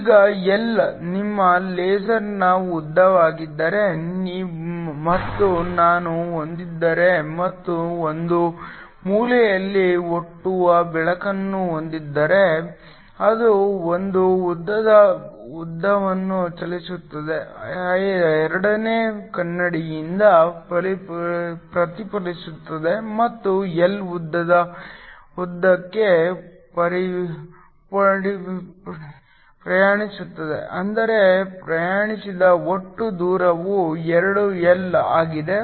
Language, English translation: Kannada, Now, if L is the length of your laser and I have and have a light that originates at one corner, it travels a length l gets reflected from the second mirror and travels a length L back which means the total distance traveled is 2 L